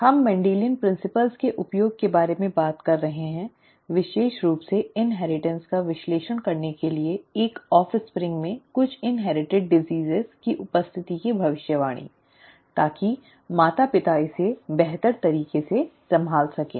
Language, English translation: Hindi, We have been talking about the use of Mendelian principles to analyse inheritance especially toward prediction of the occurrence of a of some inherited disease in an offspring, so that the parents would be able to handle it better